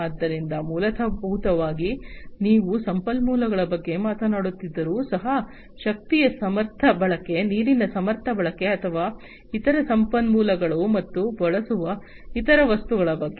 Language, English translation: Kannada, So, basically, you know, even if you are talking about resources, efficient utilization of energy, efficient utilization of water, or other resources, and other materials that are used